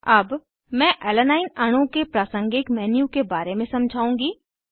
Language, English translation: Hindi, I will explain about contextual menu of Alanine molecule